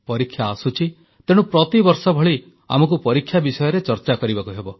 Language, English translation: Odia, Exams are round the corner…so like every other year, we need to discuss examinations